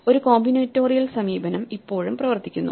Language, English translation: Malayalam, So, a combinatorial approach still works